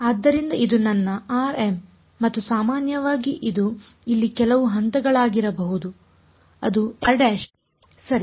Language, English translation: Kannada, So, this is my r m and in general this could be some point over here which is r prime ok